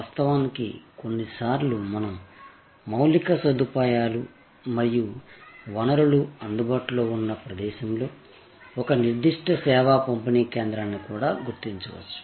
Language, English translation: Telugu, Of course, sometimes we may also locate a particular service distribution point at a location, where infrastructure and resources are available